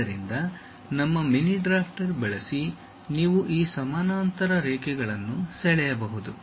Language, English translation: Kannada, So, using your mini drafter you can really draw these parallel lines